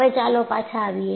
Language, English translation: Gujarati, Now, let us come back